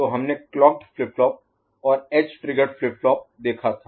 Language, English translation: Hindi, So, we have seen clocked flip flop, edge triggered flip flop